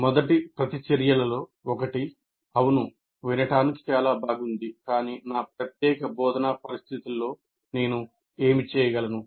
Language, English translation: Telugu, One of the first reactions is likely to be, yes, it's all nice to hear, but what can I do in my particular instructional situation